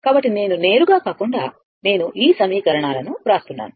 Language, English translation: Telugu, So, I am not just directly I am writing those equations right